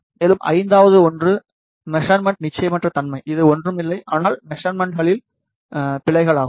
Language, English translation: Tamil, And, fifth one is measurement uncertainty which is nothing, but errors in the measurements